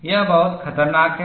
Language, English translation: Hindi, It is very, very dangerous